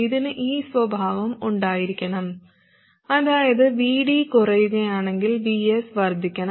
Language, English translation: Malayalam, So what must happen is that if VD increases, VS must reduce